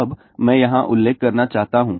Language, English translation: Hindi, Now, I just want to mention here